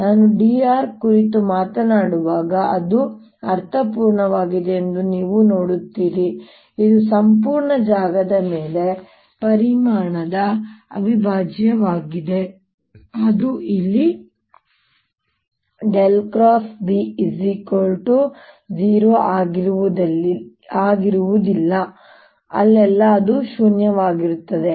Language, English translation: Kannada, now you see it make sense when i talk about d r, which is the volume integral over the entire space, that it'll be non zero wherever curl of b is non zero and where are wherever a is non zero